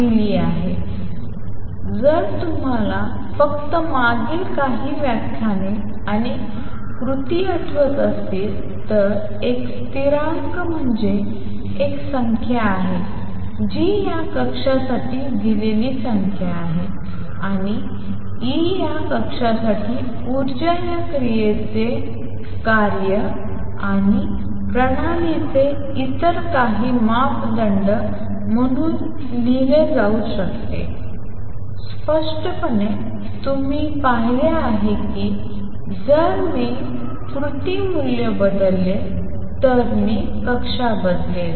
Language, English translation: Marathi, If you just recall from previous few lectures and action, therefore, is a constant is a number is a number given for this orbit and E the energy for this orbit can be written as a function of this action and some other parameters of the system; obviously, you see that if I change the action value, I will change the orbit